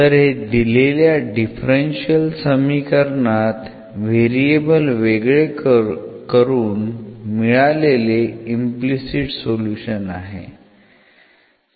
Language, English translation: Marathi, So, this is the implicit solution of the given differential equation by separating this variable